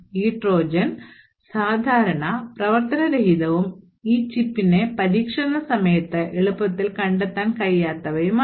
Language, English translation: Malayalam, This Trojan will be typically dormant and not easily detectable during the testing time of this particular chip